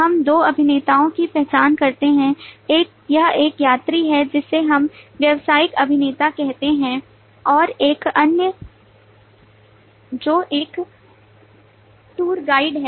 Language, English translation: Hindi, this is passenger, who is a passenger, who is a business actor, we say, and this another who is a tour guide